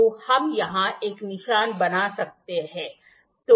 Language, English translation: Hindi, So, we can make a mark here